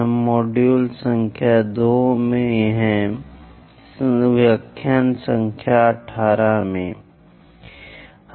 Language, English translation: Hindi, We are in module number 2, lecture number 18